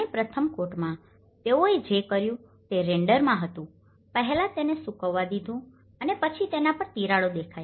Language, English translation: Gujarati, And in the first coat, what they did was in the render they first allowed it to dry and then cracks have appeared on it